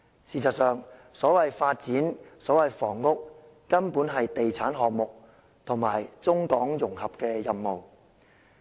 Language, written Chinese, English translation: Cantonese, 事實上，所謂房屋，所謂發展，根本是地產項目和中港融合的任務。, In fact the so - called housing and the so - called development are nothing but property projects and a mission of Mainland - Hong Kong integration